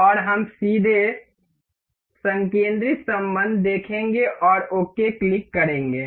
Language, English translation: Hindi, And we will directly see concentric relation and click ok